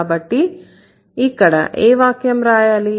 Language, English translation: Telugu, So, what should be the sentence here